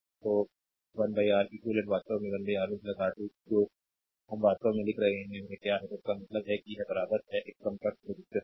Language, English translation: Hindi, So, 1 upon Req ah we have 1 upon R 1 plus 1 upon R 2 so, Req actually is the equivalent resistance